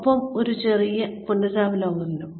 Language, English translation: Malayalam, And, a little bit of revision